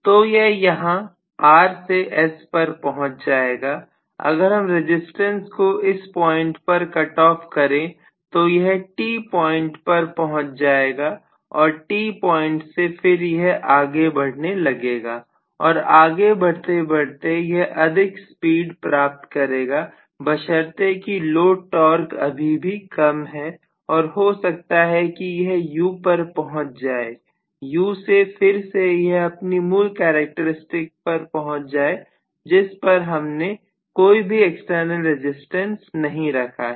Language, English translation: Hindi, So from here say from R it has reached S from S, actually if I cut off the resistance at this point it will actually go to the point T and from T again, it will start traveling further and further towards higher speed provided I have again the load torque to be smaller and maybe at this point where it has reached U, from U I am going to again switch over to this regular characteristics with no external resistance at all